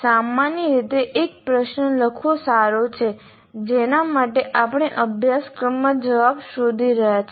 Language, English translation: Gujarati, And generally it is good to write one kind of a question for which we are seeking answer in a particular course